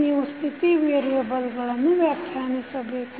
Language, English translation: Kannada, You have to define the State variables